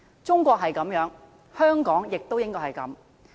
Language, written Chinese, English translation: Cantonese, 中國如是，香港也應該如是。, This applies to China and also applies to Hong Kong